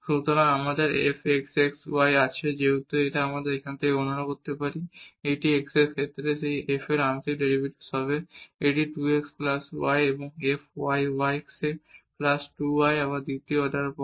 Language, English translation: Bengali, So, we have f x x y as we can compute from here it is 2 x the partial derivative of this f with respect to x this would be 2 x plus y and f y x plus 2 y again the second order terms